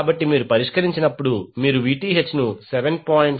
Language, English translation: Telugu, So, when you solve, you get Vth as 7